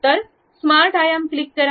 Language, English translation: Marathi, So, smart dimension, click